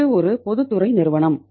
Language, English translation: Tamil, It is a public sector company